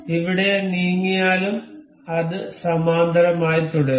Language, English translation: Malayalam, Anywhere it moves, it will remain parallel